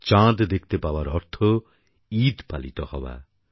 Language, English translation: Bengali, Witnessing the moon means that the festival of Eid can be celebrated